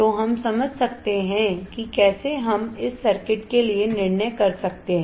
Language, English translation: Hindi, So, we can understand how we can decide this circuits alright